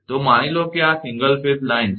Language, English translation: Gujarati, So, this is a suppose, see it is a single phase line